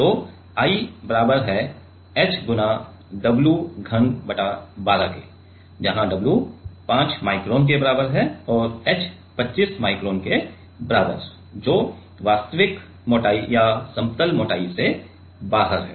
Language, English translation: Hindi, So, I is equal to h w cube by 12 where, w is equal to 5 micron and h is equals to 25 micron which is the actual thickness or out of the plane thickness